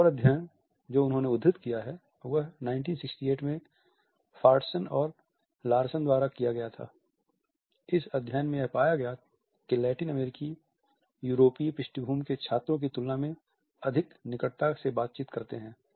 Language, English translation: Hindi, Another study which he has quoted is the 1968 study by Fortson and Larson in which it was found that the Latin Americans tend to interact more closely than students from European background